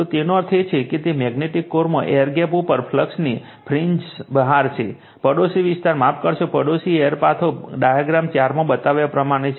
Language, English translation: Gujarati, So that means, at an air gap in a magnetic core right, the flux fringes is out into neighbouring area your sorry neighbouring air paths as shown in figure 4